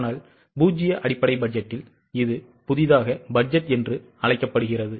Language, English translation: Tamil, But in case of zero base budget it is called as budgeting from scratch